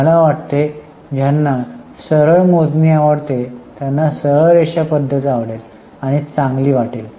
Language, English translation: Marathi, I think those who like simplicity will say that straight line is simple